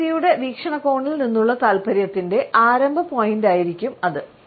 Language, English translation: Malayalam, That would be the beginning point of interest from the perspective of this individual